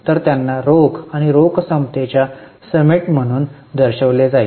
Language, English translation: Marathi, So, they would be shown as a reconciliation in the cash and cash equivalent